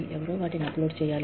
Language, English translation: Telugu, Somebody has to upload them